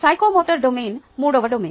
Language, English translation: Telugu, the psychomotor domain is a third domain